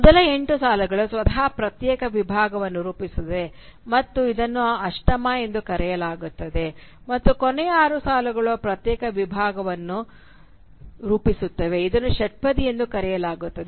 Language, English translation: Kannada, The first eight lines form a separate segment by itself and is referred to as the octave and the last six lines form a separate segment which is referred to as sestet